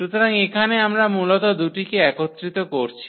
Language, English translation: Bengali, So, here we are combining basically the two